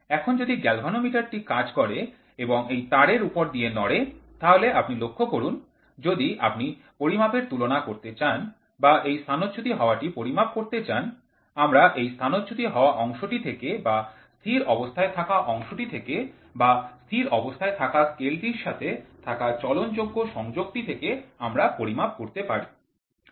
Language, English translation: Bengali, So, if the galvanometer does and then it slides over a sliding wire, so, if you look at it, if you wanted to do comparison measurement, if you want to do displacement measurement, so we can always at this can be a sliding bar and this can be a stationary bar or it can be a stationary scale and there is a sliding contact which moves on a stationary scale